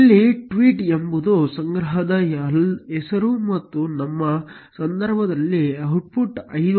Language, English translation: Kannada, Here tweet is the name of the collection and the output in our case is 5